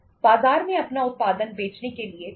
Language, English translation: Hindi, You have 2 ways to sell your production in the market